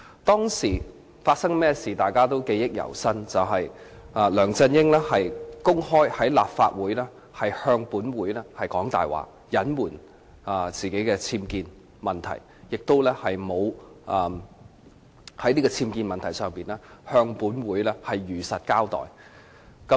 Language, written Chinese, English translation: Cantonese, 當時發生甚麼事，大家都記憶猶新，就是梁振英公開在立法會說謊，隱瞞自己的僭建問題，亦沒有在僭建問題上向立法會如實交代。, We all remember vividly what happened back then . LEUNG Chun - ying openly lied to the Legislative Council to cover up the problem of his unauthorized building works and failed to truthfully account for this problem to the Legislative Council